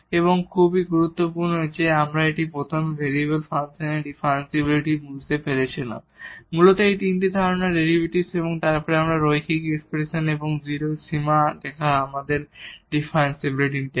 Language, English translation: Bengali, And, very important that we first understood this differentiability of the function of one variable mainly these three concept having the derivative and then this linear expression and also writing that limit to 0 gives us differentiability